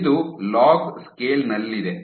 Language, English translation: Kannada, So, this is in log scale